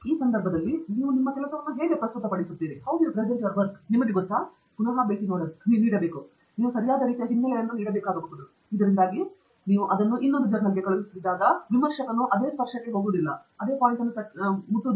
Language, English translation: Kannada, In which case, you need to, you know, revisit, how you present your work; you may need to give the right kind of background so that when you send it to another journal, the reviewer does not go into the same tangent